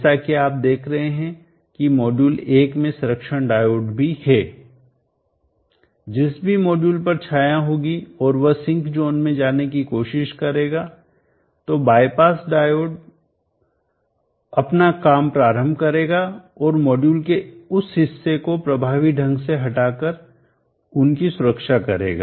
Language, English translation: Hindi, As you see here the module 1 is also having the protection diode whichever the module has shading and try to go to the sink zone of operation, the bypass diode will come and protect them effectively removing that portion of the module out of the circuit